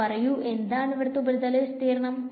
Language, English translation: Malayalam, So, what is the surface area of this